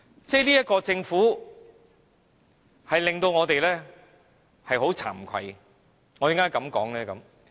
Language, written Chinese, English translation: Cantonese, 這個政府令到我們很慚愧，為何我這樣說呢？, We are ashamed of the Government . Why do I say so?